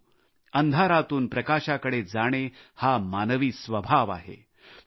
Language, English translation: Marathi, But moving from darkness toward light is a human trait